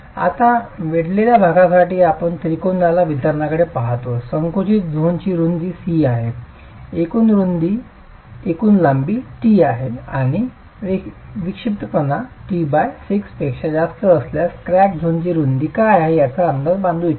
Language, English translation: Marathi, Now for the cracked portion we look at a triangular distribution, the width of the compressed zone is C, the total length is T and we want to estimate what is this width of the cracks zone in case the eccentricity is greater than t by six